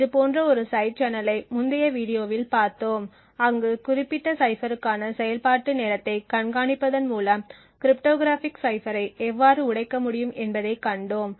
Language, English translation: Tamil, So, we had seen such a side channel in the in a previous video where we seen how cryptographic cipher can be broken by monitoring the execution time for that particular cipher